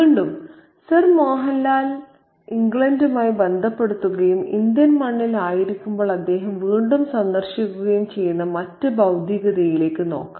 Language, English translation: Malayalam, Okay, again let's look at the other materiality that Sir Mohan Lal associates with England and that he revisits while he is on Indian soil